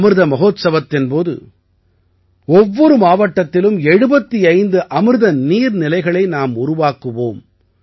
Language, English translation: Tamil, During the Amrit Mahotsav, 75 Amrit Sarovars will be built in every district of the country